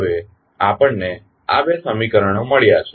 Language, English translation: Gujarati, Now, we have got these two equations